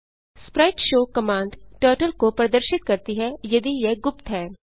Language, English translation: Hindi, spriteshow command shows Turtle if it is hidden